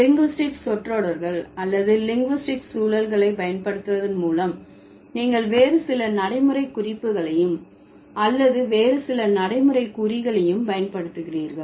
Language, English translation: Tamil, So through the linguist, by deploying the linguistic phrases or the linguistic context, you are also using some other pragmatic references or some other pragmatic markers